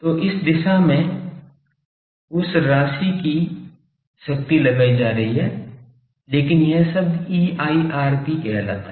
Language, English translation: Hindi, So, in this direction power is being inject by that amount, but this term says EIRP